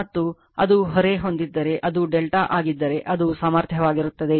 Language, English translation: Kannada, You have , and you have it is load is delta right then it is capacity